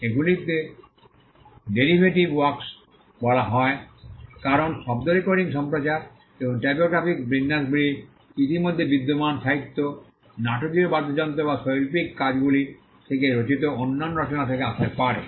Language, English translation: Bengali, These are called derivative works because, sound recordings broadcast and typographical arrangements could have come from other works that already existed literary dramatic musical or artistic works